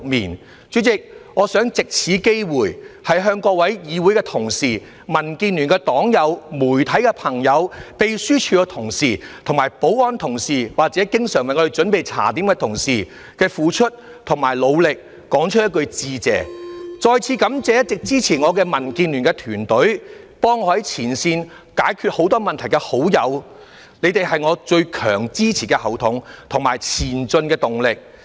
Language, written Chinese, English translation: Cantonese, 代理主席，我想藉此機會向各位議會同事、民建聯的黨友、媒體朋友、秘書處同事、保安同事，以及經常為我們準備茶點的同事，對於他們的付出和努力說一句多謝，再次感謝一直支持我的民建聯團隊、為我在前線解決很多問題的好友，他們是我的最強後盾及前進的動力。, Deputy President I wish to take this opportunity to thank fellow Legislative Council Members members of DAB friends from the media the Secretariat staff all security officers and colleagues who often prepare refreshments for us . I wish to thank them for their dedication and hard work . Once again I wish to thank my team at DAB and friends who have worked at the front line and solved many problems for me